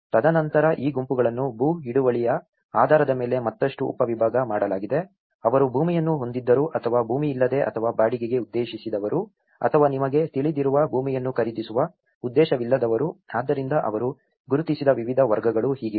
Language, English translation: Kannada, And then these groups has been further subdivided based on, land tenure whether they have land or without land or intend to rent or those without who intend to buy land you know, so, this is how the different categories they have identified